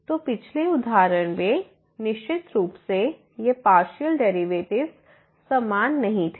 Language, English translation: Hindi, So, in the previous example definitely those partial derivatives were not equal